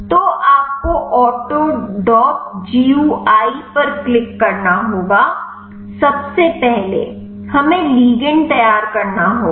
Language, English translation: Hindi, So, you have to open the autodock gui click first we have to prepare the ligand